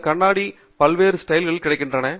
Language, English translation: Tamil, And these glasses are available in a variety of different styling